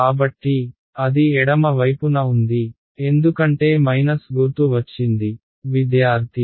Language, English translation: Telugu, So, that was the left hand side that minus sign came because